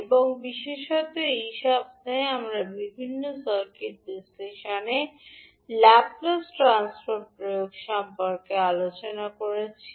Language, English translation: Bengali, And particularly in this week, we discussed about the application of Laplace Transform in various circuit analysis